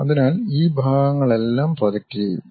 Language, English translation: Malayalam, So, all these parts will be projected